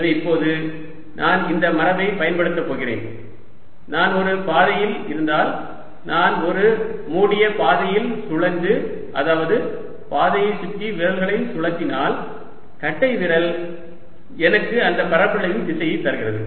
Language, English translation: Tamil, so now i am going to use this convention that if i on a path, if i curl on a closed path, if i curl my fingers around the path, the thumb gives me the direction of the area